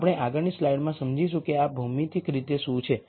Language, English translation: Gujarati, We will understand what this is geometrically in the next slide